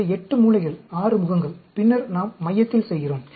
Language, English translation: Tamil, So, 8 corners, 6 faces, and then, we are doing at the center